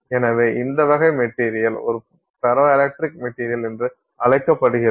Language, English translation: Tamil, So, what is a ferroelectric material